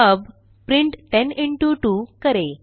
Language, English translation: Hindi, Now let us do print 10 into 2